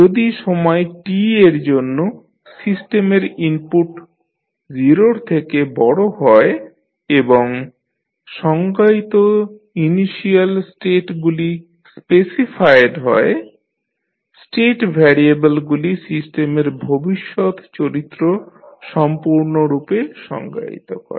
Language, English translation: Bengali, Once, the input of the system for time t greater than 0 and the initial states just defined are specified the state variables should completely define the future behavior of the system